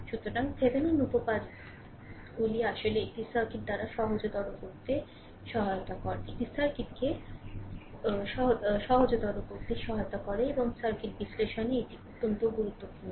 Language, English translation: Bengali, So, Thevenin theorems actually help to simplify by a circuit and is very important in circuit analysis